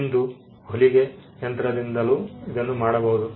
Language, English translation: Kannada, The same could be done today by a sewing machine